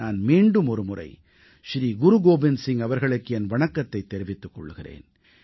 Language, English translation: Tamil, I once again bow paying my obeisance to Shri Guru Gobind Singh ji